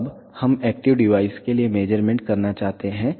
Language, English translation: Hindi, Now, we would like to do the measurement for active device